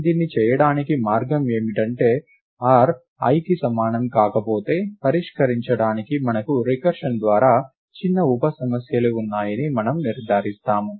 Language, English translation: Telugu, The way to do this is if r is not equal to i then we ensure that we have recursively smaller sub problems to solve